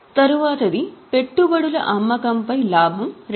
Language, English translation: Telugu, The next is profit on sale of investments which is 2000